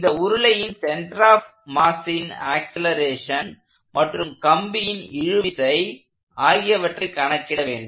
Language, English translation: Tamil, We are asked to find the acceleration of the mass center of the circular cylinder as well as the tension in this cable